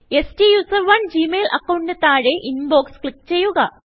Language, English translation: Malayalam, Under STUSERONE at gmail dot com ID, click Inbox